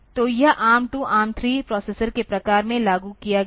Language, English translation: Hindi, So, it was implemented in ARM 2, ARM 3, type of processors